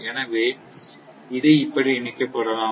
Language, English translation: Tamil, So, it may be connected like this